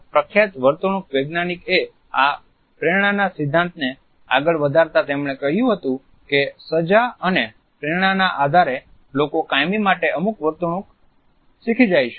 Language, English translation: Gujarati, Skinner a famous behavioral scientist had put forward this theory of motivation and he had said that it is on the basis of the punishment and reinforcement that people learn certain behaviors almost in a permanent fashion